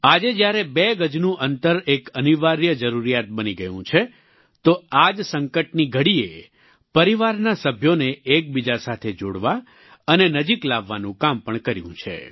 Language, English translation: Gujarati, Today, when the two yard social distancing has become imperative, this very crises period has also served in fostering bonding among family members, bringing them even closer